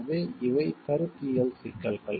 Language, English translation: Tamil, So, these are the conceptual issues